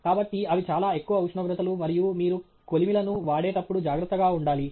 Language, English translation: Telugu, So those are very high temperatures and you need to be careful when you handle furnaces